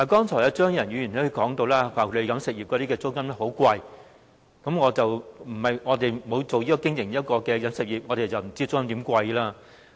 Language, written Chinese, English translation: Cantonese, 張宇人議員剛才提到飲食業的租金非常昂貴，我們並非經營飲食業，不知道其租金有多昂貴。, Just now Mr Tommy CHEUNG mentioned that the rents in the catering industry were exorbitant . As we are not operators in the catering industry we do not know how exorbitant the rents are